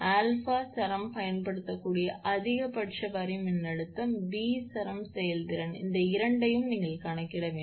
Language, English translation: Tamil, Find, a maximum line voltage for which the string can be used; b string efficiency this two you have to calculate